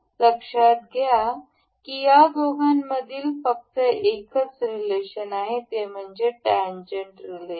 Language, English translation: Marathi, Note that the only relation we have made between these two are the tangent relation